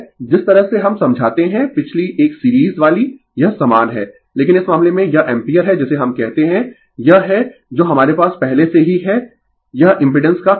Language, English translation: Hindi, The way we explain the previous one series one it is same, but in this case it is ampere your what we call it is that we has already it is angle of impedance right